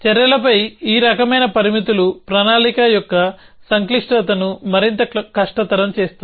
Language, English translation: Telugu, So, this kind of constrains on actions make complexity of planning more and more difficult essentially